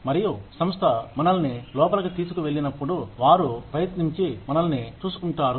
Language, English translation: Telugu, And, when the organization takes us in, they try and look after us